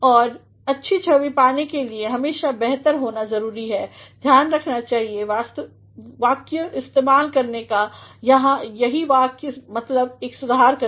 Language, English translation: Hindi, And, in order to have a good image, it is always better to take care of making use of correct sentences that is what I mean by correction